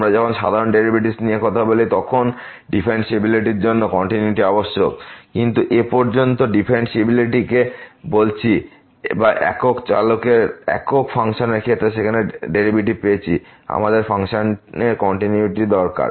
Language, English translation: Bengali, When we talk about the usual derivatives, the continuity is must for the differentiability, but that is so far we called differentiability or getting the derivative there in case of single functions of single variable, we need continuity of the function